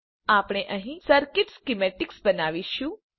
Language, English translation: Gujarati, We will create circuit schematics here